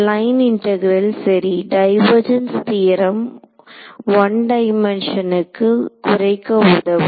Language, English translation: Tamil, Line integral right the divergence theorem helps us to reduce one dimension